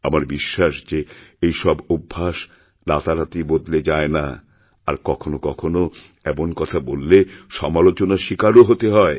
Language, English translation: Bengali, I know that these habits do not change overnight, and when we talk about it, we invite criticism